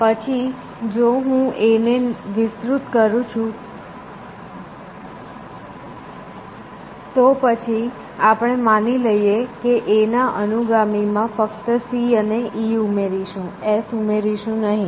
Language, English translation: Gujarati, Then if I about to expand A, then I could the let us assume that we are not going to add S to successors of A, only C and E